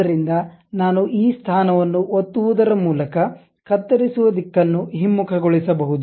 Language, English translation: Kannada, So, I have to reverse the direction of cut by clicking this position